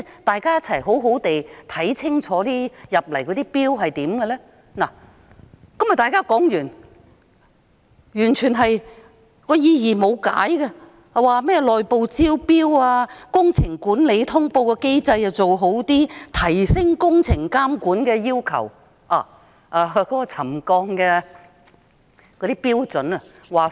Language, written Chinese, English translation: Cantonese, 大家的討論到這裏便告一段落，但大家說到的甚麼改善內部招標、工程管理通報機制，提升工程監管的要求，卻完全沒有解釋。, Our discussion will come to a close here but no explanation has ever been given at all regarding what we have mentioned such as improving the internal tendering system and the project management notification system and raising the requirements for supervision of the works